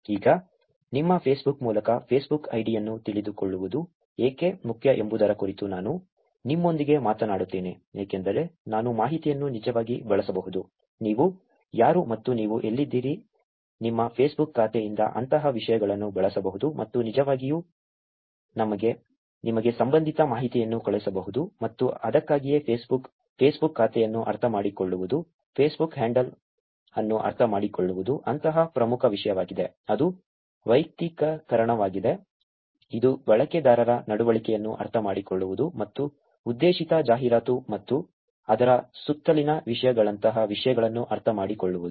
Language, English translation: Kannada, Now, let me talk to you about why Facebook id knowing what through your Facebook is important because I can actually use the information, who you are and where you are from, things like that from your Facebook account and actually send relevant information to you and that is why Facebook, understanding Facebook account, understanding Facebook handle becomes such an important topic also which is personalization, which is understanding user behavior and things like that targetted advertisement and topics around it